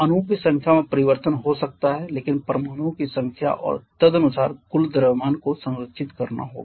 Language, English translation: Hindi, Number of molecules may change but number of atoms and accordingly the total mass has to be conserved